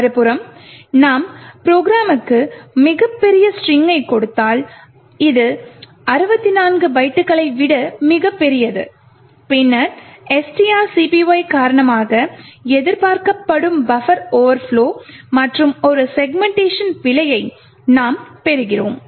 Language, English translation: Tamil, On the other hand if we give the program a very large string like this, which is much larger than 64 bytes, then as expected buffer will overflow due to the long string copy which is done and we would get a segmentation fault